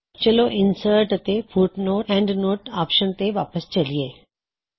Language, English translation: Punjabi, Lets go back to Insert and Footnote/Endnote option